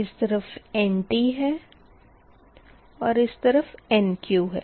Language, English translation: Hindi, so this side is a nt term, this side is a nq term